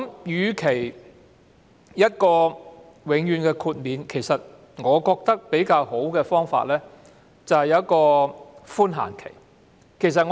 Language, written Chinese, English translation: Cantonese, 與其給予永遠豁免，我認為較好的方法是提供寬限期。, Instead of granting permanent exemption I think a better approach is to provide a grace period